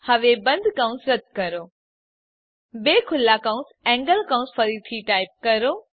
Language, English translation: Gujarati, Now delete the closing bracket Type two opening angle brackets again